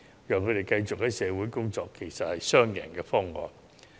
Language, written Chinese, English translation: Cantonese, 所以，讓他們繼續工作，實在是雙贏的方案。, So it is a win - win solution to allow them to continue to work